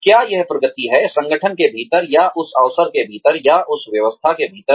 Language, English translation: Hindi, Is it progression, within the organization, or within that occasion, or within that system